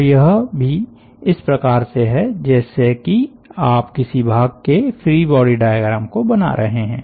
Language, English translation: Hindi, so this are also like that, so as if you are drawing the free body diagram of a chunk or an element